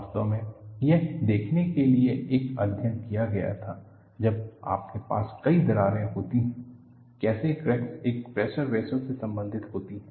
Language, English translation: Hindi, In fact, a study was conducted to see, when you have multiple cracks, how the cracks interact, in a pressure vessel